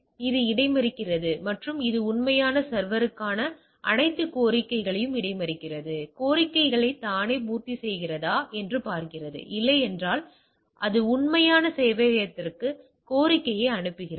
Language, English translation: Tamil, So, it intercepts it a it intercepts all requests to the real server to see if the fulfills the request itself if not it forward the request to the real server, right